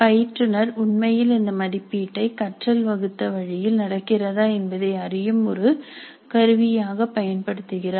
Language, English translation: Tamil, So the instructor is actually using the assessment as a tool to see if learning is happening in the intended way